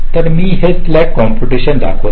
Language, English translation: Marathi, so i am showing this slack computation here now